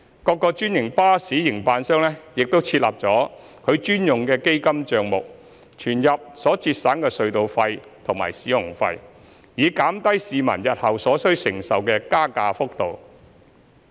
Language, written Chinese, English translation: Cantonese, 各個專營巴士營辦商已設立其專用的基金帳目，存入所節省的隧道費和使用費，以減低市民日後所需承受的加價幅度。, The franchised bus operators have set up their own dedicated fund accounts to deposit the savings in tolls and fees to reduce the magnitude of future fare increase to be shouldered by passengers